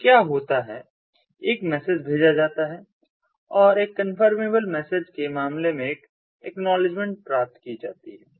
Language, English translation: Hindi, so what happens is a message is sent and an acknowledgement is received in the case of a confirmable message